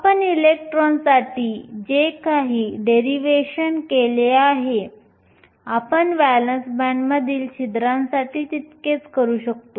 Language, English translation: Marathi, Whatever derivation we did for electrons, we can equally do for holes in the valence band